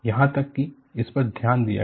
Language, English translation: Hindi, Even this is looked at